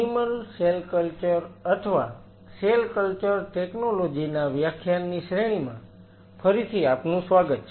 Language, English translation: Gujarati, Welcome back to the lecture series in animal cell culture or cell culture technologies